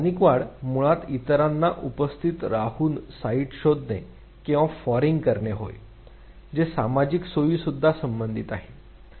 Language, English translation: Marathi, Local enhancement basically refers to locating or foraging sites by attending to others, which also is associated with social facilitation